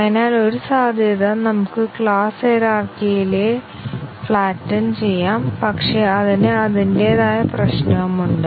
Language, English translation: Malayalam, So, one possibility is that we may flatten the class hierarchy, but then that also has its own problem